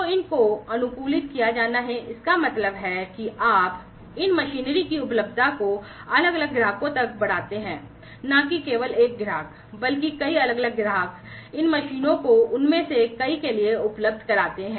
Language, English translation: Hindi, So, these have to be optimized, that means, that you increase the availability of these machinery to different customers not just one customer, but many different customers, making these machineries available to many of them